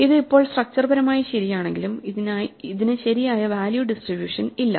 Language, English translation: Malayalam, Although this is now structurally correct, it does not have the right value distribution